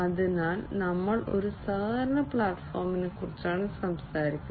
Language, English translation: Malayalam, So, we are talking about a collaboration platform